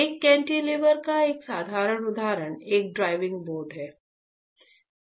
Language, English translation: Hindi, A simple example of a cantilever would be a diving board, right